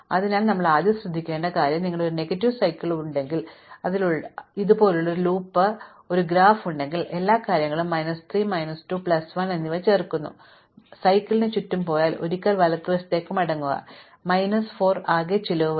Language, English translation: Malayalam, So, first thing to notice that if you have a negative cycle, so if I have a graph which I have say a loop like this and all of the things add minus 3, minus 2 and plus 1, then if I go around the cycle once, right and come back, then I will incur a total cost of minus 4